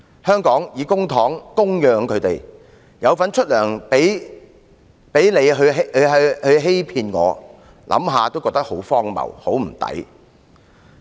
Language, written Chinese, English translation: Cantonese, 香港以公帑供養他們，市民有份支薪給他們欺騙自己，想想也感到很荒謬和不值。, It is really absurd and unreasonable for Hong Kong to use public coffers to feed them . Our citizens have to contribute to their earnings but they have cheated us in return